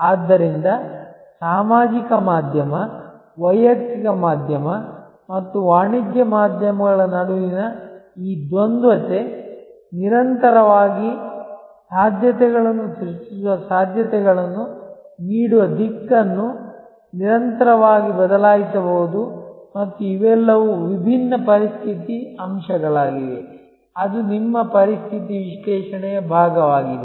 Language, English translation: Kannada, So, this dichotomy between or the tussle between social media, personal media and a commercial media may constantly changing direction giving possibilities creating possibilities and those are all the different economic factors, that is part of your situation analysis